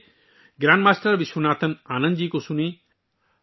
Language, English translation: Urdu, Come, listen to Grandmaster Vishwanathan Anand ji